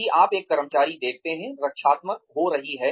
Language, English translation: Hindi, If you see an employee, getting defensive